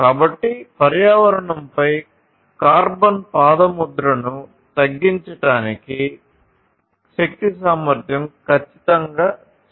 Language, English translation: Telugu, So, energy efficiency is definitely very important you know reducing carbon footprint on the environment, this is definitely very important